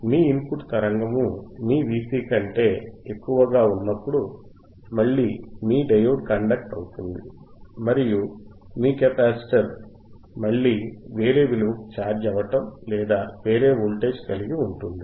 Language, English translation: Telugu, Wwhen your are input signal is greater than your V cVc, thaen again your diode will conduct and your capacitor will again have a different charge value, different charge value, or different voltage across the capacitor